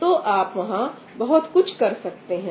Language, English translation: Hindi, Well, there is a lot more you can do